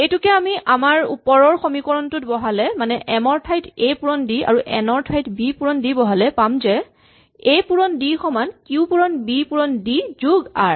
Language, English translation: Assamese, If you plug this into the equation above here, then we see that m which is a times d is equal to q times n which is b times d plus r